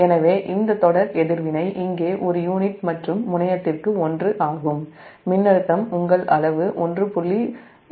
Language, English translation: Tamil, so this series reactance, here it is one per unit and terminal voltage it is given one point one zero, your magnitude